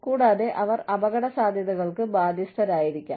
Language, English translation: Malayalam, And, they may be liable to risks